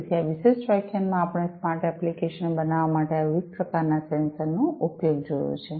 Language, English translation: Gujarati, So, in this particular lecture we have seen the use of these different types of sensors for making smart applications in industrial scenarios